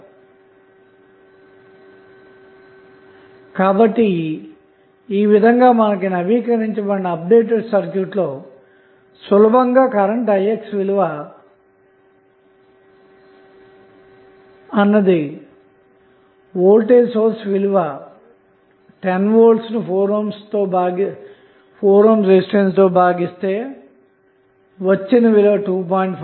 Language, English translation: Telugu, So, we with the help of this updated circuit, you can easily find out the value of Ix is nothing but 10 that is the value of the voltage source then we divided by 4 ohm resistance